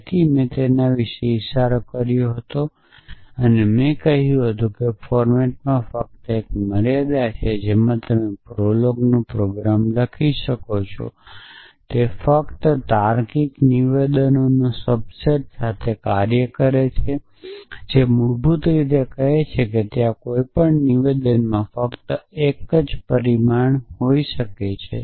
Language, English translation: Gujarati, So, I had hinted about that when I said that there is only a limitation in the format in which you can write prolog program it works with only a subset of logical statements which are known as a which a which basically say that there can be only 1 consequent in any implication statement